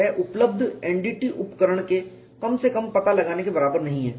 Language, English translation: Hindi, It is not equal to the least delectability of the NDT tool available